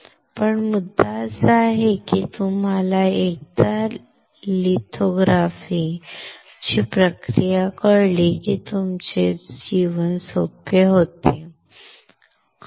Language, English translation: Marathi, But the point is once you know the process of lithography your life becomes easier life, becomes extremely easy